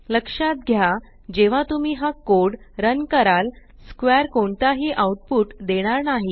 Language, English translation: Marathi, Note that when you run this code, square returns no output